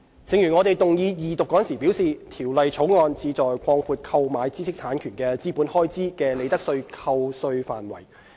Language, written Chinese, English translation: Cantonese, 正如我們動議二讀時表示，《條例草案》旨在擴闊購買知識產權的資本開支的利得税扣稅範圍。, As I have said in the moving of the Second Reading the Bill seeks to expand the scope of profits tax deduction for capital expenditure incurred for the purchase of intellectual property rights IPRs